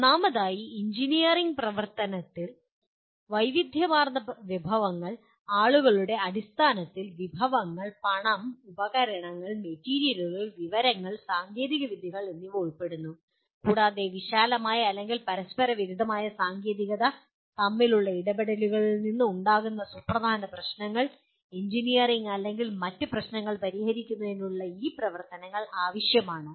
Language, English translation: Malayalam, First of all, a complex engineering activity involves use of diverse resources, resources in terms of people, money, equipment, materials, information and technologies and they require the activities involve resolution of significant problems arising from interactions between wide ranging or conflicting technical, engineering or other issues